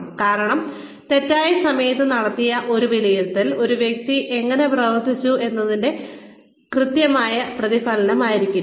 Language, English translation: Malayalam, Because the, an appraisal done at the wrong time, may not be an accurate reflection, of how a person has performed